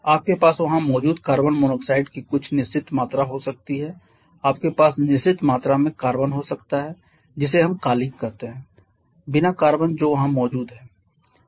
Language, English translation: Hindi, You may have certain quantity of carbon monoxide present there you may have certain quantity of just carbon that is we call unburned carbon that is present there